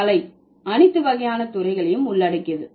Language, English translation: Tamil, So, art used to include all kinds of disciplines